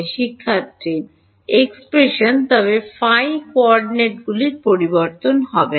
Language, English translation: Bengali, Expression, but the phi coordinates will not change